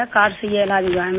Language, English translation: Hindi, I have been treated by the card itself